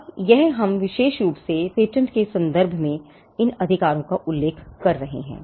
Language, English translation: Hindi, Now, this we are referring to these rights especially in the context of patents